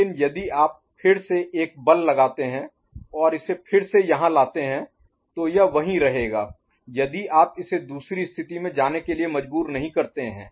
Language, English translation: Hindi, But if you again put a force and bring it here again it will remain there if you do not force it to go to another position